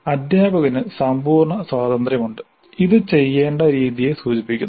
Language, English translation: Malayalam, Teacher has a complete freedom and this is only an indicative of the way it needs to be done